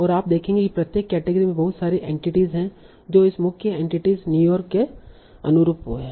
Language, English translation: Hindi, And you will see that in each category there are a lot of entities that correspond to this the main entity in New York